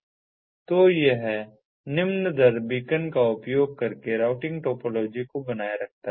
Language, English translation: Hindi, so it maintains routing topology using low rate beaconing